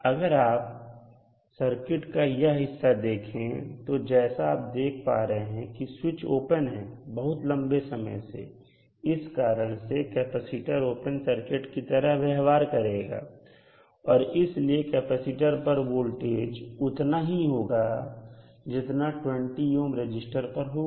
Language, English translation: Hindi, So if you see this segment of the circuit the voltage because the switch is open for very long period this will the capacitor will act as an open circuit, so the voltage across capacitor will be same as the voltage across 20 ohm resistance